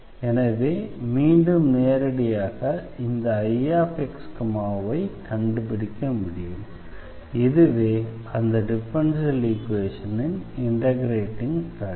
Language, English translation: Tamil, So, again directly one can find out this I x, y as 1 over M x plus N y this will be the integrating factor of this differential equation